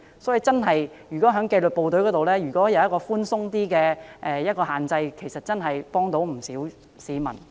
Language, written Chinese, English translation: Cantonese, 所以，如果在紀律部隊宿舍能夠有較寬鬆的車位數目限制，可以幫助不少市民。, Hence if the limit on the number of parking spaces provided in disciplined services quarters can be relaxed it will help many people